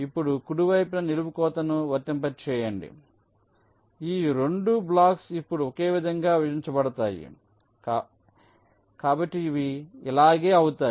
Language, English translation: Telugu, now apply a vertical cut in the right hand side, so these two blocks will now get divided similarly